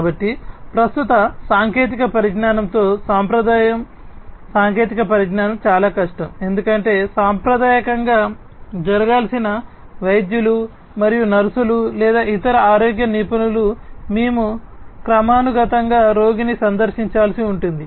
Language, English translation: Telugu, So, with the existing technology the traditional technology it is difficult, because traditionally what has to happen is the doctors and nurses or other healthcare professionals we will have to periodically visit the patient and then monitor the health of the patient that is one